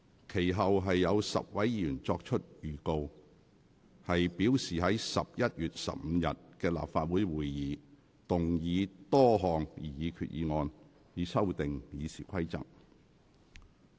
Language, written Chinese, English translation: Cantonese, 其後有10位議員作出預告，表示擬於11月15日的立法會會議，動議多項擬議決議案，以修訂《議事規則》。, Later 10 Members gave notice to move a number of proposed resolutions to amend RoP at the Legislative Council meeting of 15 November